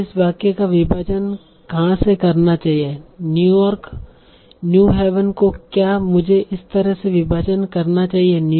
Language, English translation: Hindi, Should I segment it like that New York New Haven or New York New Haven